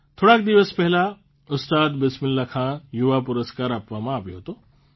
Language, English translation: Gujarati, A few days ago, 'Ustad Bismillah Khan Yuva Puraskar' were conferred